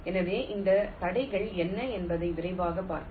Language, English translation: Tamil, so let us quickly see what are these constraints